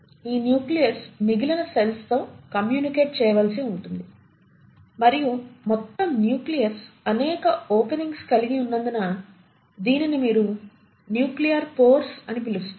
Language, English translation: Telugu, This nucleus has to communicate with the rest of the cell and it does so because the entire nucleus has numerous openings which is what you call as the nuclear pores